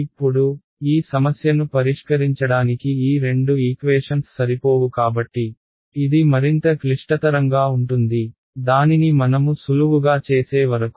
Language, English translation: Telugu, Now, as I said these two equations are not sufficient to solve this problem, so, now I am going to seemingly make life more complicated before making it simple again right